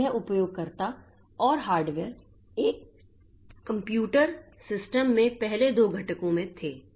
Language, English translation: Hindi, So, these users and hardware, so they were the first two components in a computer system